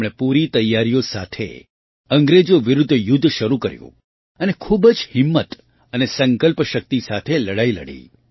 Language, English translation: Gujarati, She started the war against the British with full preparation and fought with great courage and determination